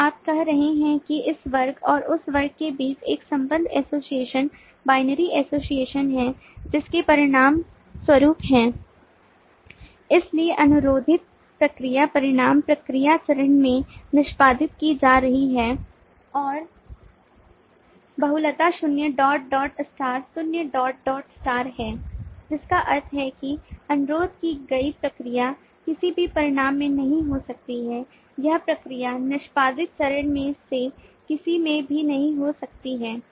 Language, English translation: Hindi, so you are saying that there is a relation, association, binary association between this class and this class which results in: so requested procedure results in modality being performed in the procedure step and the multiplicity is zero dot dot star, which means that a requested procedure may not result in to any of this